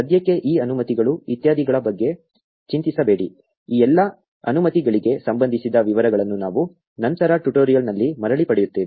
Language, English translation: Kannada, Do not worry about these permissions etcetera for now; we will get back to the details regarding all these permissions later in the tutorial